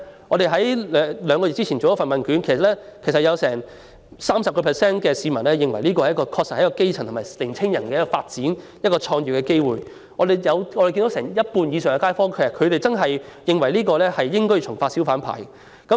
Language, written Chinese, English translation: Cantonese, 我們在兩個月前曾進行問卷調查，結果有多達 30% 受訪者認為這是基層人士及年青人發展及創業的機會，有超過半數受訪者認為應重發小販牌照。, According to the results of a questionnaire survey we conducted two months ago as many as 30 % of the respondents considered hawker trade an opportunity for grass - roots people and young people to develop and start their own business while more than 50 % of the respondents opined that the Government should re - issue hawker licences